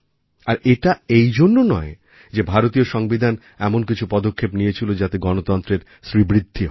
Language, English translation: Bengali, And it was not just on account of the fact that the constitution of India has made certain provisions that enabled Democracy to blossom